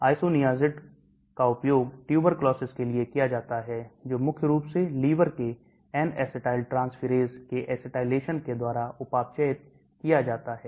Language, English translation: Hindi, Isoniazid, isoniazid is used for tuberculosis is metabolized primarily by acetylation of liver N acetyltransferase